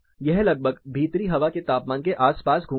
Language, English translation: Hindi, it more or less revolves around indoor air temperature